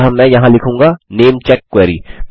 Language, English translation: Hindi, So I will say namecheck query here